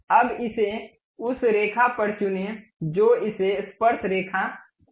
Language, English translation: Hindi, Now, pick this one on that line make it tangent